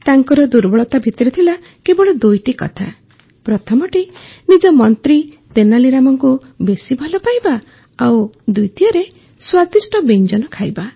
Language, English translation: Odia, If at all there was any weakness, it was his excessive fondness for his minister Tenali Rama and secondly for food